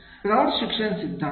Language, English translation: Marathi, Adult learning theory